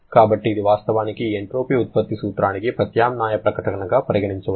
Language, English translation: Telugu, So, this actually is an alternative statement of this principle of entropy generation